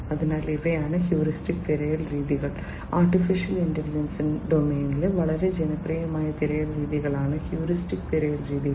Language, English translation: Malayalam, So, these are the heuristic search methods; heuristics search methods are quite popular search methods in the domain of AI